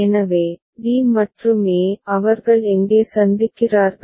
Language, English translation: Tamil, So, d and a where they are meeting